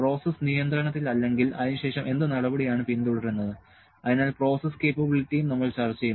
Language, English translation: Malayalam, And if the process is not in control what step do will follow that after that so, process capability also we will discuss